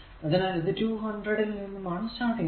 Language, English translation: Malayalam, So, it is 200; so, it is starting from 200 right